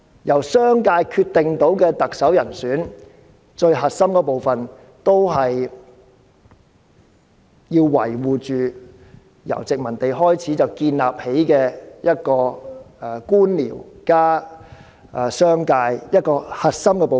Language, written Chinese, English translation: Cantonese, 由商界決定特首人選最核心的部分，就是要維護自殖民地時代建立的官僚加商界的核心部分。, The crux of allowing the business sector to decide the candidates to be qualified for the Chief Executive Election is to protect the core component of government officials and the business sector established since the colonial era